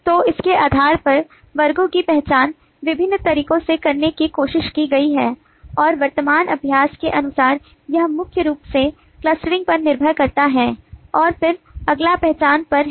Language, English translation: Hindi, so, based on this, the identification of classes have been tried in various different ways and, as of the current practice, it primarily relies on one, on clustering, and then next is on identification